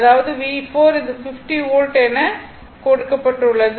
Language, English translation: Tamil, So, V 3 is equal to it is given 45 Volt